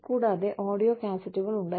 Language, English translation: Malayalam, And, we had audio cassettes